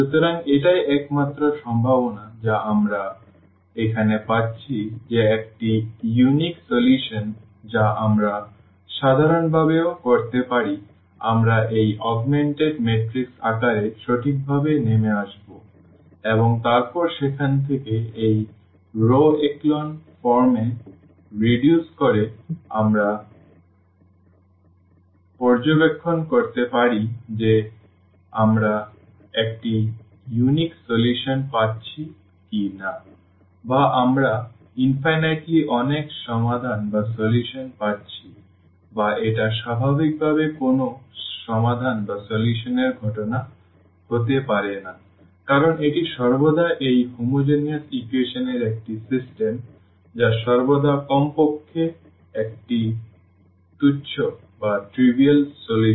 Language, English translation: Bengali, So, that is the only possibility we are getting here that is a unique solution we can also in general we will come right down in the form of this augmented matrix and then reducing to this row echelon form from there also we can observe whether we are getting a unique solution or we are getting infinitely many solutions or this is the this cannot be the case of no solution naturally because this is always a system of this homogeneous equation which always has at least a trivial solution